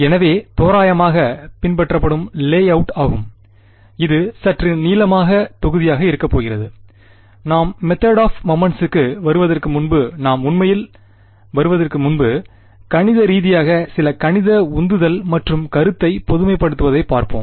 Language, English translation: Tamil, So roughly the layout that will follow, this is going to be a slightly lengthy module is before we get to actually before we get to the method of moments, we will look at some math motivation and generalization of the idea mathematically what it is